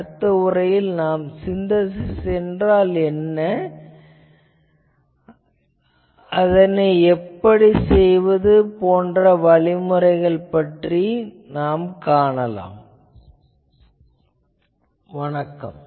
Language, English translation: Tamil, The next lecture, we will go to that what is the synthesis, how to do the attempt the synthesis procedure that we will discuss